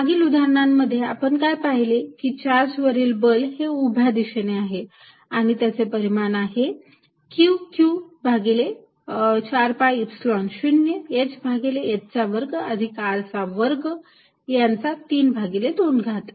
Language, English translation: Marathi, In the previous example, what we saw is that the force on the charge is in the vertical direction, it is magnitude is given by Q q over 4 pi epsilon 0 h over h square plus R square raise to 3 by 2